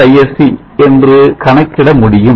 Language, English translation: Tamil, 99 Isc now this will give you a value of 0